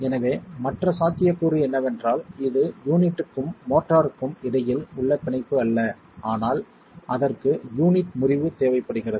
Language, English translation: Tamil, So, the other possibility is that it's not the debonding between the unit and the mortar but also it requires the fracture of the unit